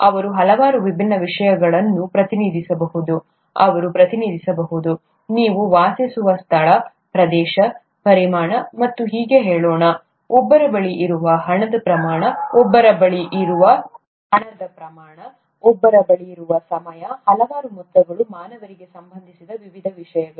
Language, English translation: Kannada, They can represent many different things, they can represent, let’s say the space that you live in, the area, the volume and so on, the amount of money that one has, the amount of time that one has, the amounts of so many different things that are relevant to humans